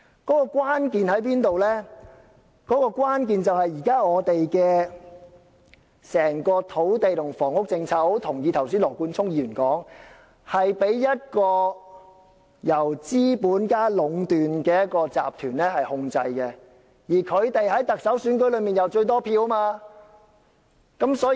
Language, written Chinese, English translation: Cantonese, 問題的關鍵在於現時整體土地及房屋政策——我十分同意羅冠聰議員剛才所說——是被一個由資本家壟斷的集團控制，而這些資本家在特首選舉中握有最多票。, The crux of the problem concerning the current overall land and housing policies is that as Mr Nathan LAW has just said it is monopolized by a conglomerate of capitalists who hold many votes in the Chief Executive election